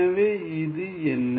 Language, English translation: Tamil, So, what is this